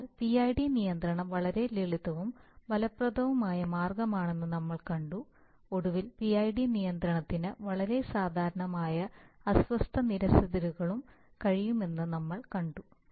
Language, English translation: Malayalam, So we saw that the PID control is a very effective ways and simple and effective way of doing that and eventually we say, we saw that PID control can also do some amount of very common disturbance rejections